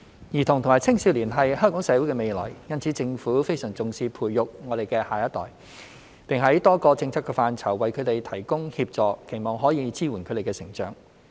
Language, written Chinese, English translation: Cantonese, 兒童和青少年是香港社會的未來，所以政府非常重視培育我們的下一代，並在多個政策範疇為他們提供協助，期望可以支援他們的成長。, Children and adolescents are the future of Hong Kong . Therefore the Government has attached great importance to nurturing the next generation and providing them with support in different policy areas to foster their development